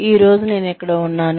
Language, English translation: Telugu, Where am I today